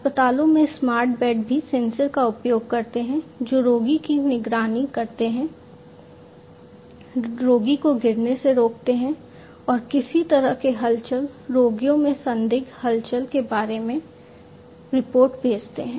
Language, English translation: Hindi, Smart beds in the hospitals also use sensors that prevent the patient from being falling down and sending report about any kind of movement, suspicious movement of the patients